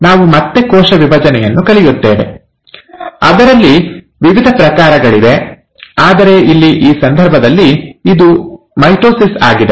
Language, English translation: Kannada, We’ll again cover cell division, there are different types of it, but here in this case it is mitosis